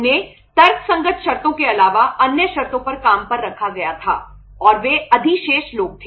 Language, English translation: Hindi, They were hired on terms other than say the rational terms and they were surplus people